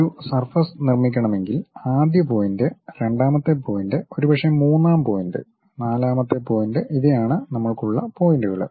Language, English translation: Malayalam, If I would like to construct a surface first point, second point, perhaps third point fourth point these are the points we have